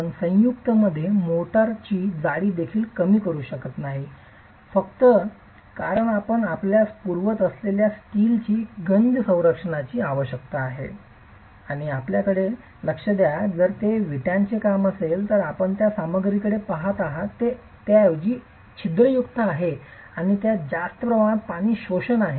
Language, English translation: Marathi, You cannot even reduce the motor thickness in the joints simply because you need corrosion protection for the steel that you are providing and mind you if it is brickwork then you are looking at a material which is rather porous and has high water absorption as its characteristic